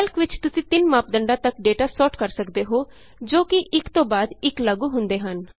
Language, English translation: Punjabi, In Calc, you can sort the data using upto three criteria, which are then applied one after another